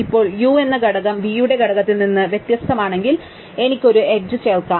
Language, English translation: Malayalam, Now, I can add an edge u, v if the component of u is different from the component of v